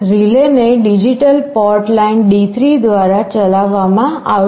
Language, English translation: Gujarati, The relay will be driven by digital port line D3